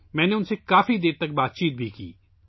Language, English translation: Urdu, I also talked to them for a long time